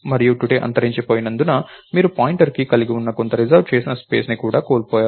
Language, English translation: Telugu, And because today is lost, you also lost a pointer to some reserved space that you had